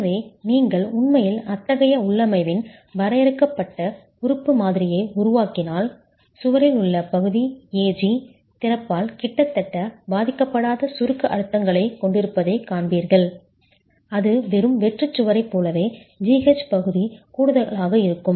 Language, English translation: Tamil, So if you actually make a finite element model of such a configuration, you will see that region AG in the wall has compressive stresses as almost unaffected by the opening, as though it is just the plain wall